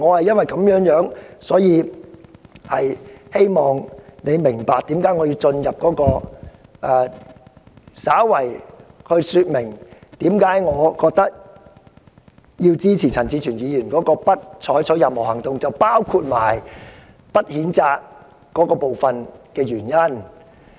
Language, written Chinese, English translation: Cantonese, 因此，我希望主席明白我為何要稍加說明我支持陳志全議員"不再採取任何行動"的議案，包括不作出譴責的原因。, So I hope the President can understand why I must briefly explain the grounds of my support for Mr CHAN Chi - chuens motion that no further action shall be taken including censure . Let me recap my point very briefly